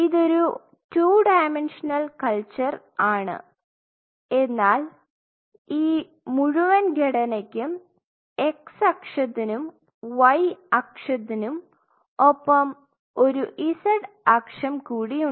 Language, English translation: Malayalam, It is a two dimensional culture, but this whole structure is a it has a z axis right it has a z axis, it has a x axis it has a y axis fair enough